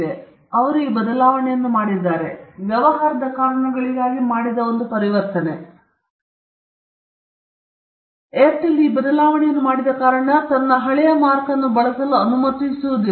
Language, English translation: Kannada, Now, they made this transition, obviously, it was an a transition done for business reasons, but just because Airtel made the transition, Airtel will not allow people to use it’s old mark